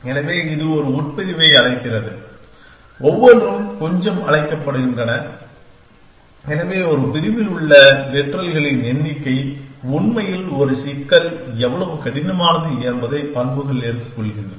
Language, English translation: Tamil, So, this is calling a clause and each is call a little, so the number of literals in a clause actually is characteristics take of how hard a problem is